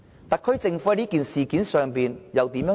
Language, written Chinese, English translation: Cantonese, 特區政府對事件有何回應？, What is the response of the SAR Government to the incident?